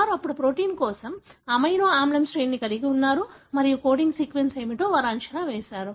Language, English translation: Telugu, So, they have now the amino acid sequence for the protein and then they predicted what could be the coding sequence